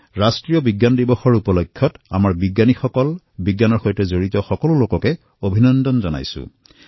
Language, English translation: Assamese, I congratulate our scientists, and all those connected with Science on the occasion of National Science Day